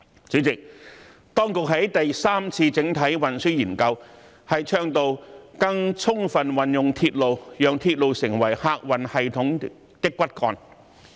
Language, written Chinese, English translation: Cantonese, 主席，當局在第三次整體運輸研究中倡導，"更充分運用鐵路，讓鐵路成為客運系統的骨幹"。, President it is advocated in the Third Comprehensive Transport Study for better use of railways as the backbone of the passenger transport system